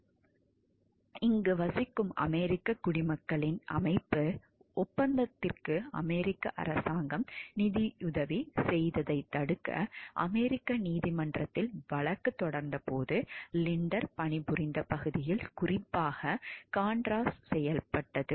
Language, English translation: Tamil, The contras had been especially active in the area where Linder was working, when an organization of a American citizens living in Nicaragua sued in us code to stop the us government from funding the contras Linder joined the suit